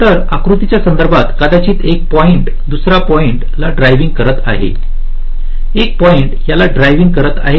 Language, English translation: Marathi, so, with respect to this diagram, maybe one point is driving this point, one point is driving this